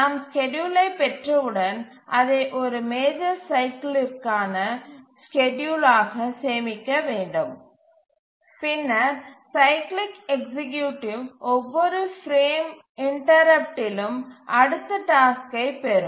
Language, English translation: Tamil, And once we derive the schedule, it can be stored as the schedule for one major cycle and then the cyclic executive will keep on fetching the next task on each frame interrupt